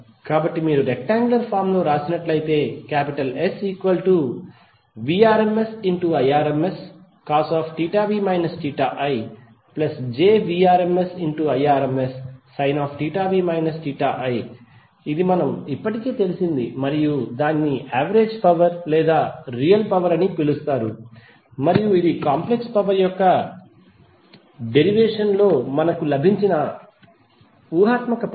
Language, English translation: Telugu, So if you write into rectangular form the complex power is nothing but Vrms Irms cos theta v minus theta i plus j Vrms Irms sin theta v minus theta i this is something which we have already derived and that is called average power or real power and this is imaginary term which we have got in derivation of the complex power